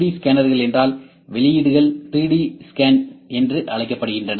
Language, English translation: Tamil, So, these outputs are known as 3D scans